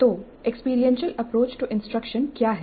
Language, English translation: Hindi, What then is experiential approach to instruction